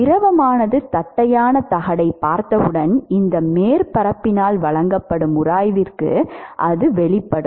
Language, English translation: Tamil, As to as soon as the fluid sees the flat plate, it is exposed to the friction which is offered by this surface